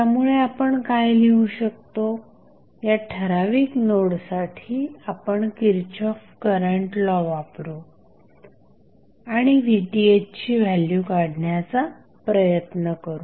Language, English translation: Marathi, So, what we can write we can use Kirchhoff's current law at this particular node and we will try to find out the value of Vth